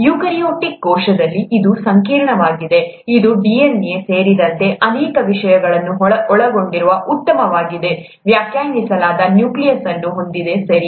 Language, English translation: Kannada, Whereas in the eukaryotic cell, it's complex, it has a well defined nucleus that contains many things including DNA, right